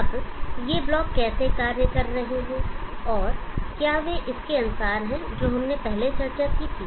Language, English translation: Hindi, Now how are these blocks functioning and do they agree with what we had discussed earlier